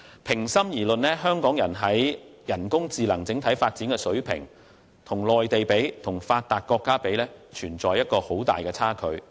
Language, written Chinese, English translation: Cantonese, 平心而論，香港在人工智能方面的整體發展，與內地及發達國家的水平相比，仍有很大差距。, To be fair the overall development of AI in Hong Kong is still far behind when compared to the standard of the Mainland and developed countries